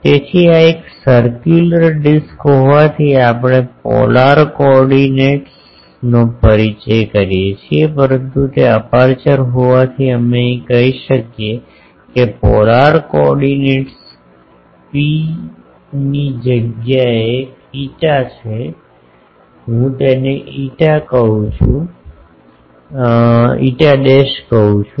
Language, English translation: Gujarati, So, since this is a circular disc we introduce the polar coordinates, but since it is the aperture is here source we say the polar coordinate is rho instead of phi I call it phi dash